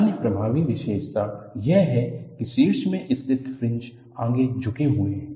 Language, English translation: Hindi, The other striking feature is the fringes in the top are tilted forward